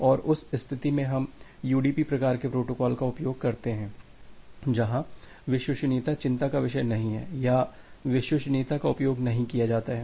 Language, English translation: Hindi, And in that cases we use UDP type of protocols where reliability is not a concern or reliability is not used